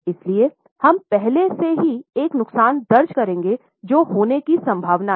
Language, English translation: Hindi, So, we will already record a loss which is likely to happen